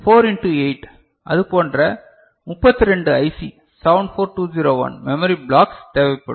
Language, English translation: Tamil, So, 4 into 8, 32 such, memory blocks of IC 74201 will be required to get this one, is it fine